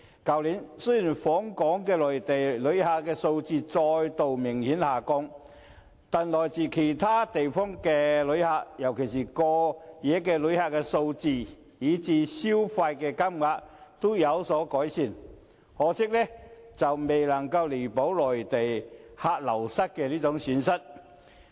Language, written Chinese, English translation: Cantonese, 去年，雖然訪港的內地旅客數字再度明顯下降，但來自其他地方的旅客，尤其是過夜旅客的數字，以至消費金額，均有所改善，可惜未能彌補內地旅客流失造成的損失。, Last year although the number of Mainland visitors to Hong Kong obviously dropped again visitors from other places especially the number of overnight visitors and their spending has increased; but this still failed to make up for the loss caused by the reduced number of Mainland visitors